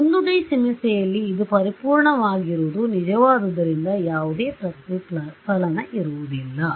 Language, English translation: Kannada, In a 1 D problem it is perfect there is going to be no reflection because this is always true ok